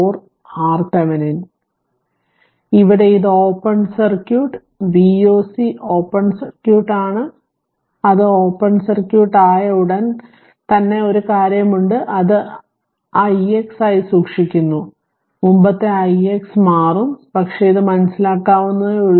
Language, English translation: Malayalam, So, here it is open circuit V o c is open circuit and as soon as it is open circuit one thing is there and you just i kept it i x as it is i so, with the previous i x i it will change, but just i did not do it just it is understandable right